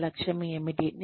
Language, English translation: Telugu, What is my mission